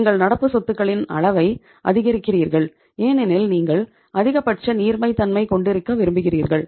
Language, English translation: Tamil, You are increasing the level of current assets because you want to have the maximum liquidity